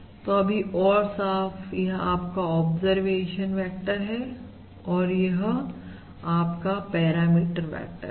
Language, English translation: Hindi, So this is the this, to be extra clear: this is your observation vector and this is your parameter vector, This is your parameter vector